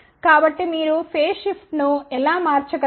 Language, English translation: Telugu, So, that is how you can change the phase shift